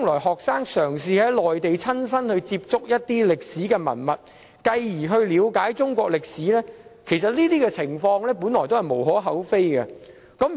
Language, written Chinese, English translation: Cantonese, 學生嘗試返回內地，親身接觸一些歷史文物，繼而了解中國歷史，本來是無可厚非的。, It is justifiable for students to return to the Mainland to personally appreciate historical relics and understand Chinese history